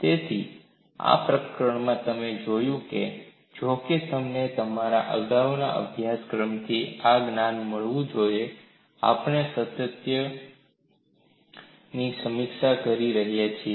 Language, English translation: Gujarati, So, these preliminaries are required to do that, although you should have got this knowledge from your earlier course, we are reviewing them for continuity